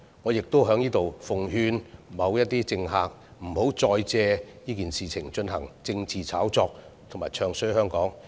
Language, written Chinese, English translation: Cantonese, 我亦在此奉勸某些政客，不要再借這件事進行政治炒作，詆毀香港。, I would also like to advise certain politicians not to make use of this incident again to engage in political hype and discredit Hong Kong